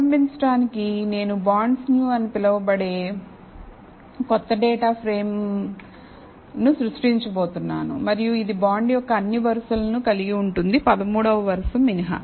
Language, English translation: Telugu, So, to start with, I am going to create a new data frame called bonds new and it will have all rows of bonds except the 13th row